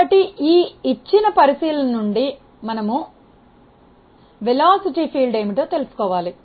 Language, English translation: Telugu, So, from this given consideration we have to find out what is the velocity field